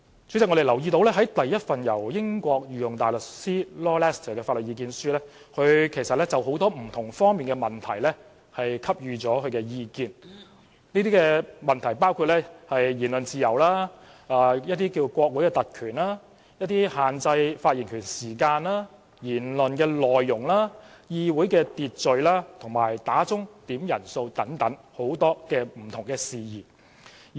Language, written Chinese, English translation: Cantonese, 主席，在第一份由英國御用大律師 Lord LESTER 提供的法律意見書中，他就很多不同方面的問題給予意見，包括言論自由、國會特權、限制發言時間、言論內容、議會秩序及響鐘點算法定人數等不同事宜。, President in the first legal submission provided by Lord LESTER QC of the United Kingdom he offered his views on issues in various fields including freedom of speech parliamentary privilege restricting speaking time content of speech parliamentary procedure and the ringing of the summoning bell